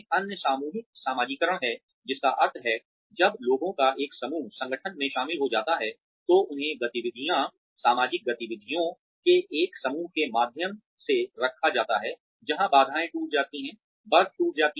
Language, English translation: Hindi, The other is collective socialization, which means, when a group of people joined the organization, they are put through a group of activities, social activities, where barriers are broken, ice is broken